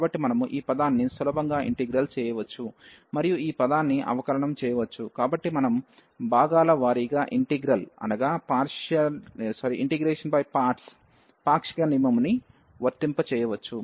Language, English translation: Telugu, So, we can easy integrate this term, and differentiate this term, so we can apply the rule of partial of integral by parts